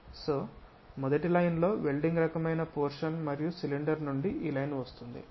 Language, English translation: Telugu, So, that one the first line is the welded kind of portion is that and from cylinder this line comes